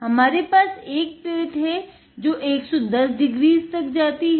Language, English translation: Hindi, We have two different hot plates, we have one that goes to 110 degrees